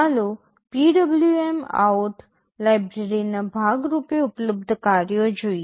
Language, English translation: Gujarati, Let us look at the functions that are available as part of the PwmOut library